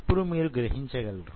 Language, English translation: Telugu, And you really can see